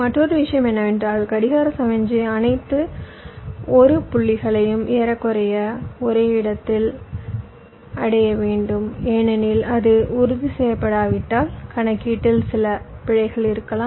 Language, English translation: Tamil, and another thing is that, as i said, that the clock signal should reach all the l points approximately at the same time, because if it is not ensured, then there can be some error in computation